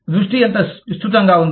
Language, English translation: Telugu, How wide is the focus